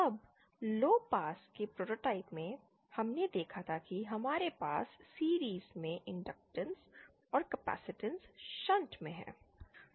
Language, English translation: Hindi, Now, in our low pass prototype, we had seen that we have capacitances in shunt and inductances in series